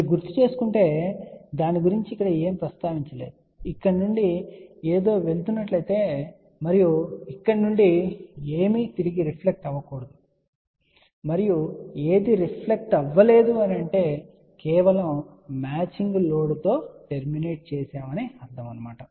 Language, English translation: Telugu, If you recall when we had mentioned about it that if something is going from here and over here, so nothing should reflect path and if nothing will reflect, but only when it is terminated into a match load, ok